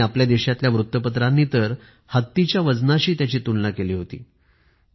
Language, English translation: Marathi, The newspapers of our country have compared it with elephantine weights